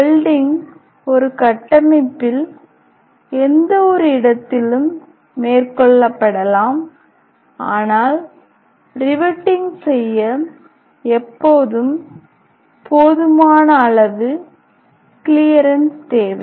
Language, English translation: Tamil, Welding can be carried out at any point on a structure, but riveting always require enough clearance to be done